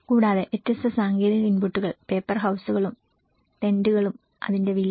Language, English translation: Malayalam, And different technological inputs, paper houses and tents, the cost of it